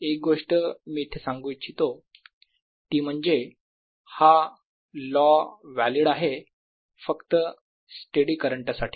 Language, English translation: Marathi, one thing i must point out here: that this law is valid for steady currents only by steady means